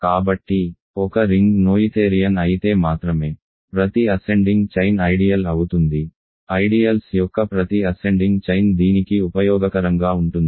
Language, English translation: Telugu, So, a ring is noetherian if and only if, every ascending chain of ideal; every ascending chain of ideals stabilizes this is useful